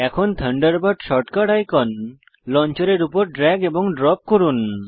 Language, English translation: Bengali, Lets drag and drop the Thunderbird short cut icon on to the Launcher